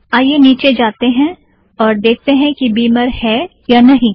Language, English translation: Hindi, So lets just go down and see whether Beamer is available